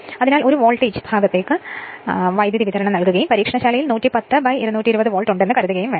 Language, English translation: Malayalam, So, if you so supply is given to l voltage side and you have to suppose in the laboratory you have 110 by 220 volt